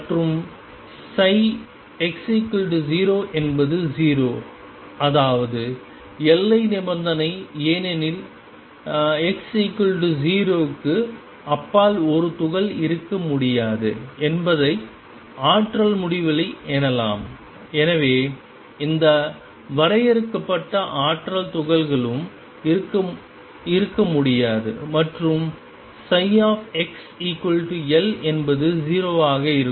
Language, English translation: Tamil, And psi x equals 0 is 0 that is the boundary condition because beyond x equals 0 a particle cannot exist potential is infinity and therefore, any finite energy particle cannot be there and psi at x equals L is 0